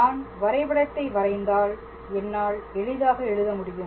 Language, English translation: Tamil, So, if I draw a figure I can be able to write it as